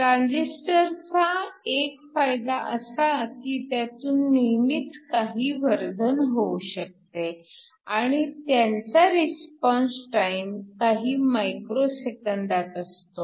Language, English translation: Marathi, One of the advantages of a transistor is that it is always possible to have some gain, and your response time is of the order of micro seconds